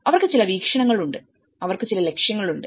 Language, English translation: Malayalam, So, they have certain visions; one is they have certain objectives